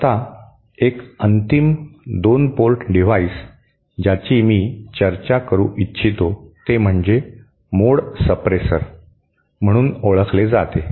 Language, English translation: Marathi, Now, one final 2 port device that I would like to discuss is what is known as mode suppressor